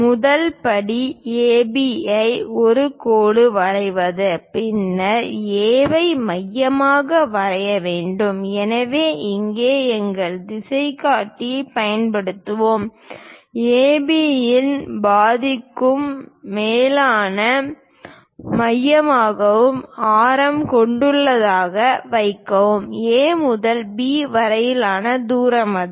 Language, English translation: Tamil, The first step is draw a line AB and then with A as centre; so here we are going to use our compass; keep it as a centre and radius greater than half of AB; the distance from A to B is that